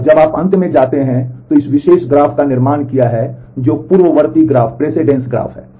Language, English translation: Hindi, And when you come to the end you have constructed this particular graph which is the precedence graph